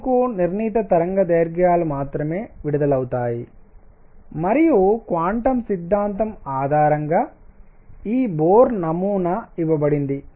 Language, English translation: Telugu, Why is it that only certain wavelengths are emitted and for this Bohr model was given based on the quantum theory